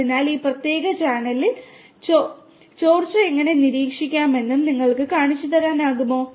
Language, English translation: Malayalam, So, can you show us how we can monitor leakage in this particular panel